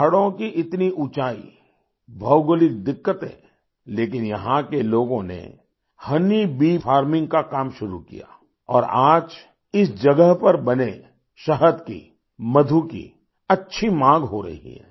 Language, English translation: Hindi, There are steep mountains, geographical problems, and yet, people here started the work of honey bee farming, and today, there is a sizeable demand for honey harvested at this place